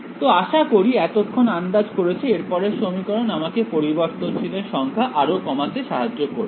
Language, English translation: Bengali, So, I mean you would have guessed by now, the next equation is going to give is going to help me further reduce the number of variables